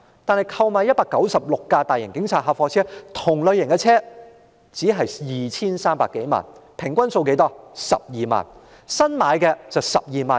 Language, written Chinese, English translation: Cantonese, 但新置196輛大型警察客貨車，即相同類型的車輛，只需花費 2,300 多萬元，平均是12萬元一輛。, But the procurement of 196 police large vans ie . the same kind of vehicles only costs some 23 million averaging 120,000 per vehicle